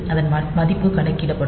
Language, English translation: Tamil, So, we it the value will be calculated